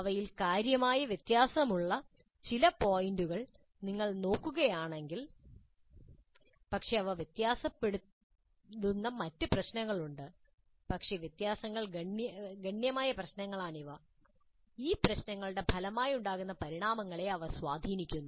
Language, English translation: Malayalam, If you look at some of the points in which they differ substantially there are many other issues where they differ but these are the issues on which the differences are substantial and they do influence the outcomes that result from these approaches